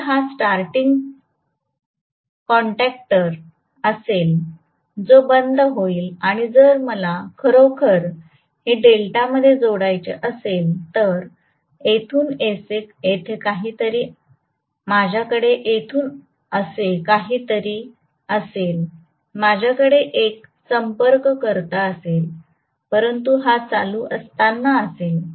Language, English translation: Marathi, So this will be the starting contactor which will be closed and if I want really this to be connected in delta, I will have something like this from here I will have one contactor, so this will be during running right